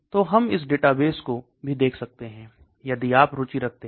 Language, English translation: Hindi, So we can look at this database also if you are interested